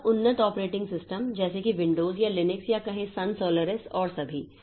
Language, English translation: Hindi, So, very advanced operating systems like, say, Windows or Linux or, or say, Sun Solaris and all